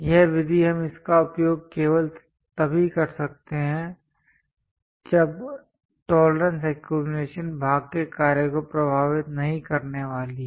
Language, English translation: Hindi, This method we can use it only if tolerance accumulation is not going to affect the function of the part